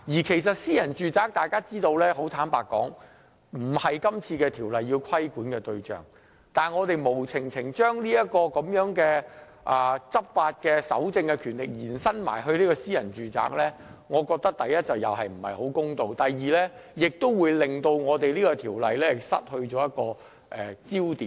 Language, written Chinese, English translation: Cantonese, 坦白說，大家知道私人住宅並非《條例草案》規管的對象，現時建議把執法、搜證的權力延伸至私人住宅，第一，這不太公道；第二，這可能會令到《條例草案》失去了焦點。, Frankly speaking we know that the Bill is not meant to regulate private domestic premises . The present proposal of extending the power of law enforcement and evidence collection to cover private domestic premises is firstly too unfair; and secondly likely to render the Bill out of focus